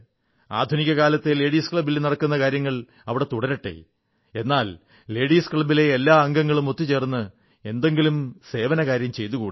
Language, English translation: Malayalam, Routine tasks of a modern day Ladies' club shall be taken up, but besides that, let all members of the Ladies' club come together & perform an activity of service